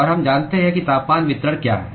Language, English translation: Hindi, And we know what is the temperature distribution